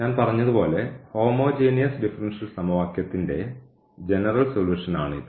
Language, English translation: Malayalam, So, then this will be a general solution of the given differential equation